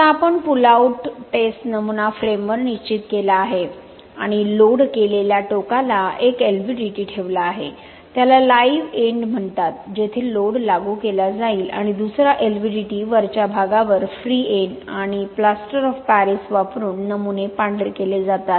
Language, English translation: Marathi, Now we have fixed the pull out test specimen on the frame and place the one LVDT at the loaded end, it is called live end where load will be applied and another LVDT at the top, free end and the specimens are whitewashed using Plaster of Paris to absorb any crack developing during the pull out test